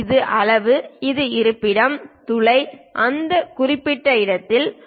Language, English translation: Tamil, This is size and this is location, the hole is at that particular location